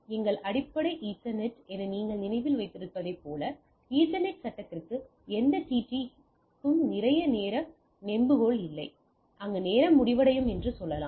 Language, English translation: Tamil, As if you remember as the as our basic Ethernet, Ethernet frame does not have any TT a lot time lever where the timeout will be happening that is so to say